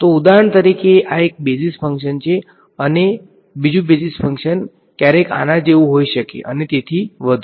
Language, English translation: Gujarati, So for example, this is one basis function the other basis function can be sometimes like this and so on